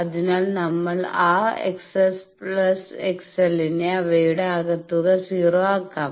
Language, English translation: Malayalam, So, we can make that x s plus x l their sum we can make 0